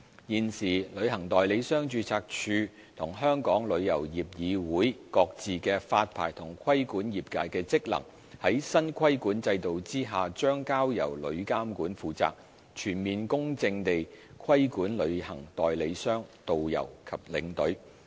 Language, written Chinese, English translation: Cantonese, 現時旅行代理商註冊處和香港旅遊業議會各自的發牌和規管業界的職能，將在新規管制度下交由旅監局負責，全面公正地規管旅行代理商、導遊和領隊。, Under the new regulatory regime TIA will take up the current licensing and trade regulatory roles from the Travel Agents Registry and the Travel Industry Council of Hong Kong TIC respectively so as to regulate travel agents tourist guides and tour escorts in a holistic and impartial manner